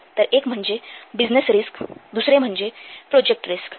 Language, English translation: Marathi, So, one is business risk, another is the project risk